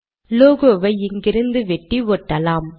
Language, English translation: Tamil, Lets cut and paste logo from here